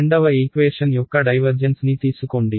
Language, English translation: Telugu, Take the divergence of the second equation